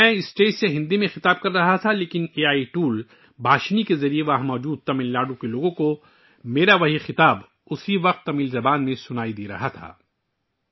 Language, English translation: Urdu, I was addressing from the stage in Hindi but through the AI tool Bhashini, the people of Tamil Nadu present there were listening to my address in Tamil language simultaneously